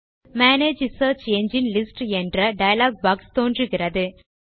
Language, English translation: Tamil, This opens a dialog box entitled Manage Search Engine list